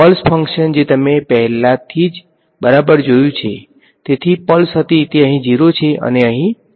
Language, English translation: Gujarati, The pulse function which you already saw right so the pulse was right it is 0 over here and 1 over here